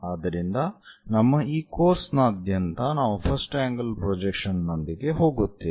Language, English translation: Kannada, So, throughout our course we go with first angle projection